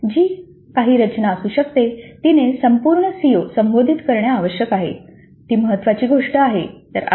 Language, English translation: Marathi, Obviously whatever be the structure it must address all the COs, that is important thing